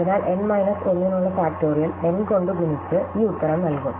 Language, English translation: Malayalam, So, we will compute factorial for n minus 1 multiply by n and then return this answer, well